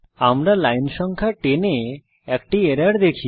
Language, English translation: Bengali, We see an error at line no 10